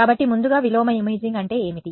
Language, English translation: Telugu, So, that is what inverse imaging is